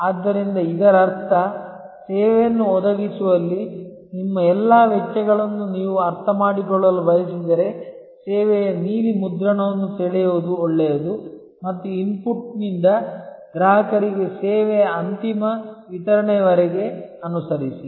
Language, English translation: Kannada, So, which means that, if you want to understand all your costs in providing a service, it is good to draw the service blue print and follow from the input to the final delivery of service to the consumer